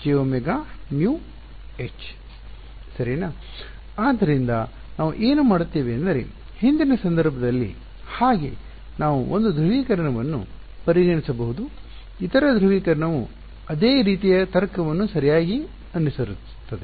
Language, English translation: Kannada, So, what we will do is like in the previous case we can consider 1 polarization, the other polarization the same kind of logic will follow right